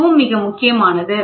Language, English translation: Tamil, This is also very very important